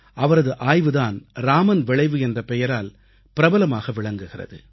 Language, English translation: Tamil, One of his discoveries is famous as the Raman Effect